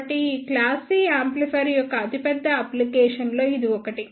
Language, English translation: Telugu, So, this is one of the biggest application of these class C amplifier